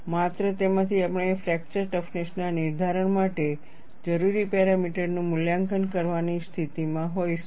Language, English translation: Gujarati, Only from that, you would be in a position to evaluate the parameters needed for fracture toughness determination